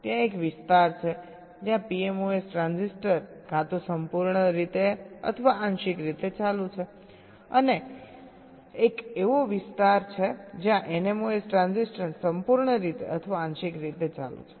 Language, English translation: Gujarati, there is a region where the p mos transistor is either fully on or partially on and there is a region where the n mos transistor is either fully on or partially on